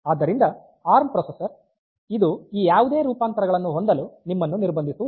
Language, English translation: Kannada, So, ARM processor they do not restrict you to have any of this variants